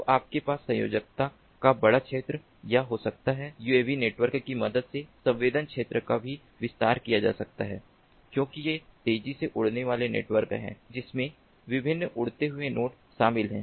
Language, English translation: Hindi, coverage also can be expanded with the help of uav networks because these are fast moving flying networks comprising of different flying nodes